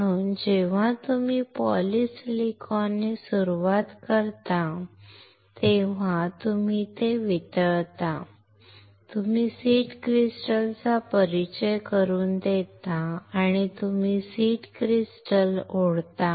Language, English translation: Marathi, So, when you start with polysilicon, you melt it, you introduce seed crystal and you pull the seed crystal